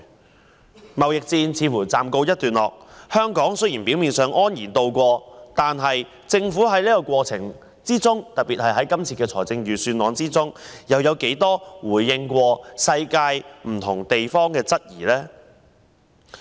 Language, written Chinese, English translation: Cantonese, 中美貿易戰似乎暫時告一段落，雖然香港表面上是安然渡過，但政府在整個過程中，特別是這份預算案，就世界各地提出的質疑作過多少次回應呢？, It seems that the trade war between China and the United States is over for the time being and Hong Kong has ostensibly escaped unscathed but how many times has the Government responded to the queries raised by the rest of the world during the course and in particular in this Budget?